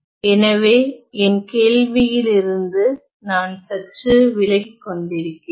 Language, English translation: Tamil, So, I am slightly digressing from my question at hand